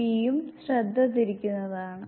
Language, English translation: Malayalam, P is also the distracter